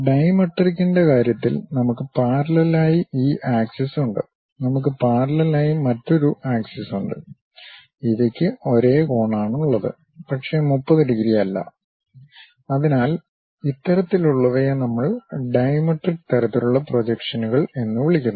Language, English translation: Malayalam, In the case of dimetric, we have this axis which is parallel; we have another axis that that is also parallel, these are having same angle, but not 30 degrees; so, this kind of things what we call dimetric kind of projections